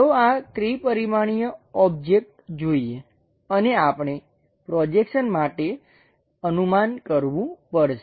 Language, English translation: Gujarati, Let us look at this three dimensional object and we have to guess the projections